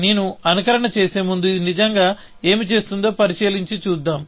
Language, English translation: Telugu, Before I do the simulation, let us make an observation as to what this is really, doing